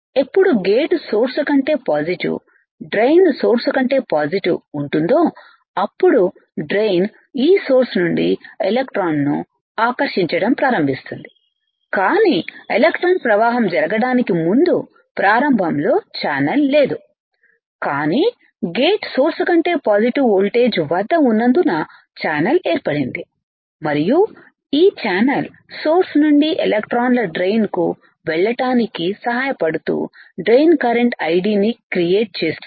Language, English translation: Telugu, When my gate is positive with respect to source drain is positive with respect to source, the drain will start attracting the electron from this source, but before the formation of before the flow of electron can happen initially there is no channel, but because the gate is at positive voltage compare to the source that is why there is a formation of channel and this formation of channel will help the electron from the source to move towards the drain creating in a drain current I D